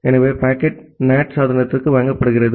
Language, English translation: Tamil, So, the packet is delivered to the NAT device